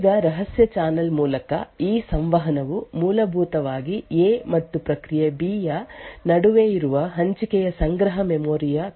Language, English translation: Kannada, Now this communication through the covert channel is essentially due to the shared cache memory that is present between the process A and process B